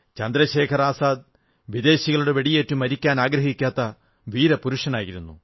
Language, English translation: Malayalam, Chandrashekhar Azad put his life on the stake, but he never bowed in front of the foreign rule